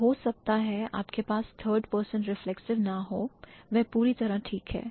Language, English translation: Hindi, So, you may not have the third person reflexive, that's perfectly fine